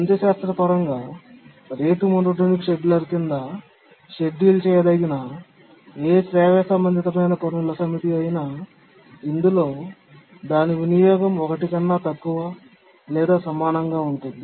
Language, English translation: Telugu, Now let's through a simple mathematics, let's show that any harmonically related task set is schedulable under the rate monotonic scheduler as long as its utilization is less than or equal to one